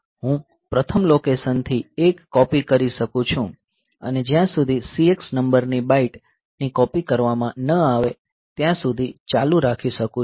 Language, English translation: Gujarati, So, I can copy a from the first location and continue till the CX number of bites have been copied